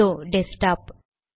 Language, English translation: Tamil, Okay, here is the desktop